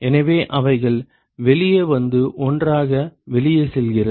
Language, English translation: Tamil, So, then they come out they go out together